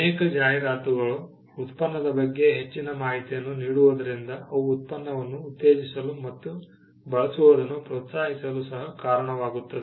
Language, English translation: Kannada, Because many advertisements go beyond supplying information about the product, they also go to promote the product